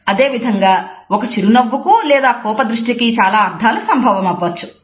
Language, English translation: Telugu, In the same way, a single smile or a single frown may have different possible meanings